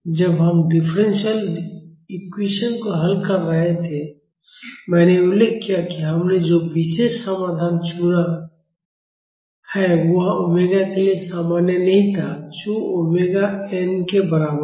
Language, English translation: Hindi, When we were solving for the differential equation, I have mentioned that the particular solution we have chosen was not valid for omega is equal to omega n(